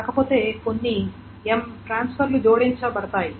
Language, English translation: Telugu, If not, there are some M transfers that are added